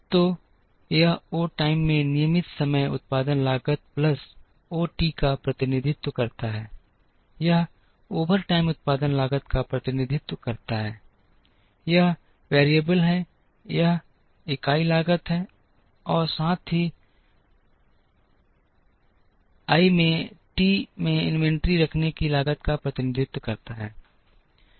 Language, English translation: Hindi, So, this represents the regular time production cost plus o T into O T, this represents the overtime production cost, this is the variable this is the unit cost, plus i t into I t represents the cost of holding the inventory